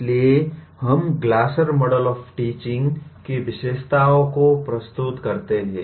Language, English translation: Hindi, So we present the features of Glasser Model of Teaching